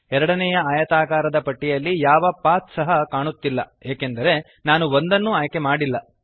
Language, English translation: Kannada, There is no path visible on the second rectangle bar because I did not select one